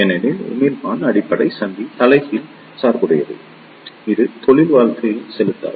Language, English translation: Tamil, Since, the emitter base junction is reverse bias it does not inject careers